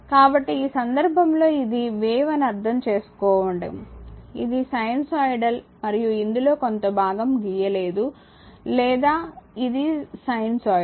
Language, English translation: Telugu, So, in this case you are this is understand the wave, this is sinusoidal and little bit as portion as cutter or this is sinusoidal or this is figure 1